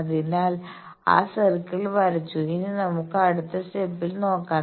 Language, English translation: Malayalam, So, that circle is drawn then next step you see now